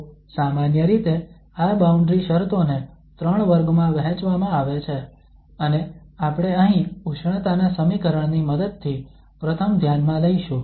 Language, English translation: Gujarati, So in general, these boundary conditions are divided into 3 categories and the first one we will consider here with the help of the heat equation